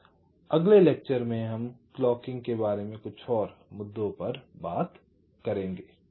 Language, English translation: Hindi, so we shall be talking about some more issues about clocking in the next lecture as well